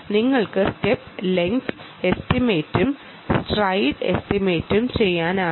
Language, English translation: Malayalam, you can also do step length estimation, stride estimation